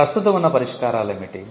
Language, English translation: Telugu, What are the existing solutions